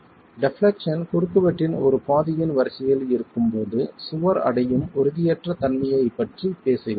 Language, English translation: Tamil, We are talking about instability being reached when the wall, when the deflection is of the order of one half of the cross section